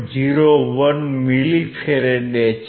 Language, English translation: Gujarati, 01 milli farad